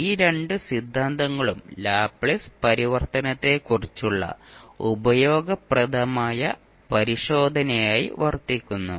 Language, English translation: Malayalam, And these two theorem also serve as a useful check on Laplace transform